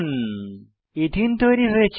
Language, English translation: Bengali, Ethene is formed